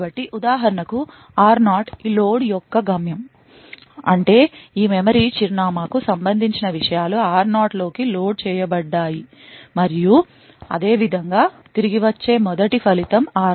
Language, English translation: Telugu, So, for example r0 was the destination for this load that is the contents corresponding to this memory address was loaded into r0 and similarly r0 was the first result to be return back